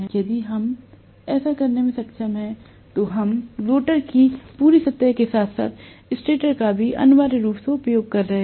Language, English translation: Hindi, If we are able to do that then we are essentially utilizing the entire surface of the rotor as well as the stator